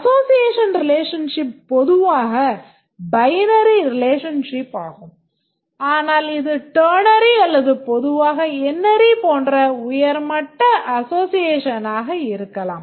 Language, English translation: Tamil, The association relationship is usually binary, but it can be a higher degree association like ternary or in general can be NRE